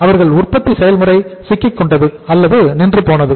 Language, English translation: Tamil, Their production process got stuck